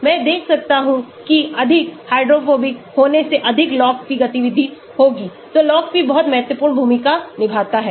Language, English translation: Hindi, I can see more hydrophobic more is the log p activity will be more, so log p plays a very important role